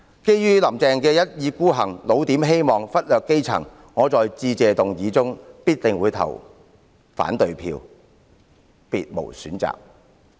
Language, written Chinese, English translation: Cantonese, 基於"林鄭"的一意孤行，"老點"希望、忽略基層，我在致謝議案的表決中必定會投下反對票，別無選擇。, Given Carrie LAMs style of going it alone raising false hopes and ignoring the grass roots I will definitely vote against the Motion of Thanks . There is no choice